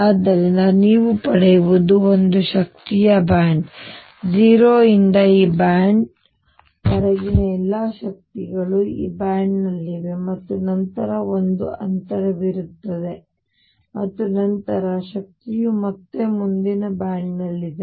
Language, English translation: Kannada, So, what you get is a band of energy, energy ranging from 0 to up to this band all the energies are in this band and then there is a gap and then the energy again picks up is in the next band